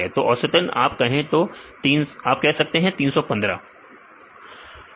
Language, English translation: Hindi, So, average you can say about 315 residues